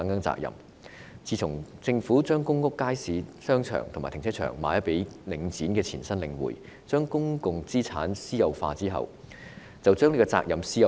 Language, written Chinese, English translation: Cantonese, 自從政府將公屋街市、商場和停車場出售予領展的前身領匯，將公共資產私有化後，連責任也私有化。, Following the Governments divestment of markets shopping arcades and car parks in PRH estates to Link REITs predecessor The Link REIT and the privatization of public assets even the responsibilities have been privatized altogether